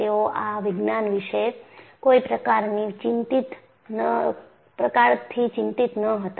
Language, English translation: Gujarati, So, they were not really worried about Science